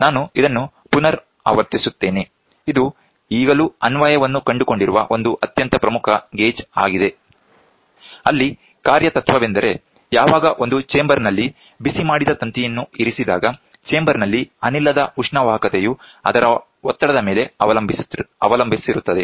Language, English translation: Kannada, I repeat this is one of a very important gauge which has even now find application; where the working principle is when a heated wire is placed in the chamber, heated wire in a chamber the thermal conductivity of the gas depends on the pressure